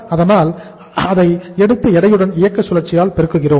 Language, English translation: Tamil, So we take it as 40000 uh and multiplied by weighted operating cycle